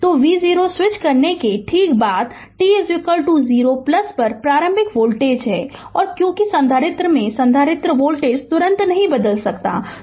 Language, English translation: Hindi, So, v 0 is the initial voltage at say t is equal to 0 plus just after switching and because capacitor to capacitor the voltage cannot change instantaneously